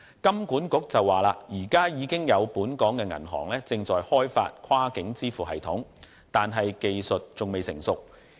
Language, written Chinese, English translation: Cantonese, 金管局指出，現時已有本港銀行正在開發跨境支付系統，但技術仍未成熟。, HKMA has indicated that some local banks are developing cross - border payment systems although the technology is still immature